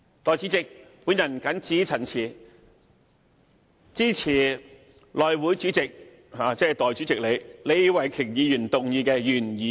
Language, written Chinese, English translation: Cantonese, 代理主席，我謹此陳辭，支持內務委員會主席，即代理主席李慧琼議員動議的原議案。, With these remarks Deputy President I support the original motion moved by Ms Starry LEE who is Chairman of the House Committee